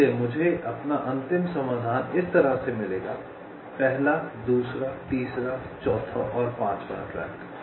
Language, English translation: Hindi, so i get my final solution like this: first, second, third, fourth and fifth track